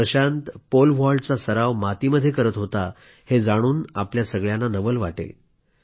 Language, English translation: Marathi, You will be surprised to know that Prashant used to practice Pole vault on clay